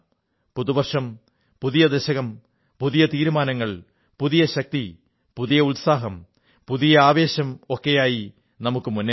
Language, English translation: Malayalam, New Year, new decade, new resolutions, new energy, new enthusiasm, new zeal come let's move forth